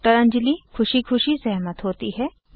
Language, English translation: Hindi, Dr Anjali happily agrees